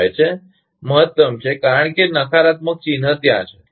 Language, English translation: Gujarati, 25 is the maximum because negative sign is there